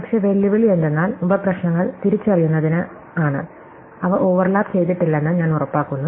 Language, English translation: Malayalam, But, the challenges is, in identifying the sub problems, I am making sure that they are not overlapping